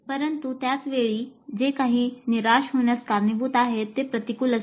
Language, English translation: Marathi, But at the same time, something which is going to lead to a frustration will be counterproductive